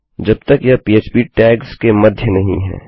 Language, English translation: Hindi, So long as it is not between Php tags